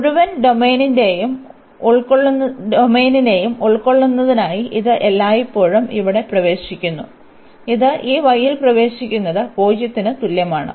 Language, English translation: Malayalam, So, it is entering here always for covering the whole domain, it is entering at this y is equal to 0